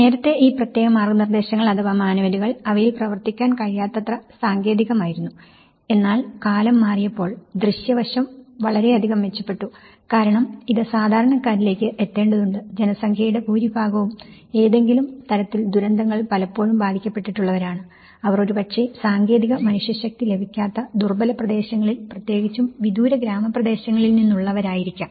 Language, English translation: Malayalam, So, this particular manuals earlier, they were too technical to work on it and but as the time moved on, the visual aspect has improved quite a lot and because it has to reach to the common man, the most of the target group population who were often affected by the disasters, they are probably from the vulnerable areas especially, from the remote rural areas where you hardly get any technical manpower